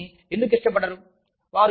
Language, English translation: Telugu, People do not like that